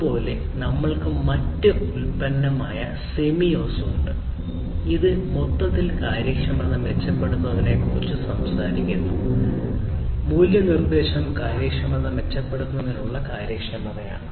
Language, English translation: Malayalam, Similarly, we have the other product the Semios, which basically talks about improving the efficiency overall, the value proposition is efficiency in improving the efficiency